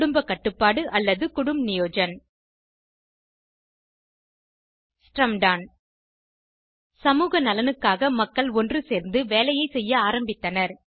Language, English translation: Tamil, Family planning or Kutumb Niyojan Shramdaan People started working together for community welfare